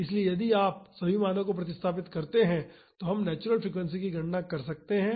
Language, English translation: Hindi, So, if you substitute all the values we can calculate the natural frequency